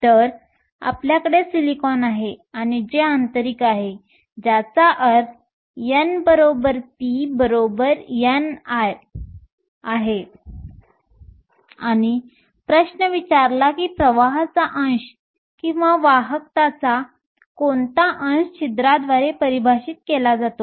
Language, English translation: Marathi, So, we have silicon and it is intrinsic which means n equal to p equal to n i, and the question asked what fraction of current or what fraction of conductivity is defined by the holes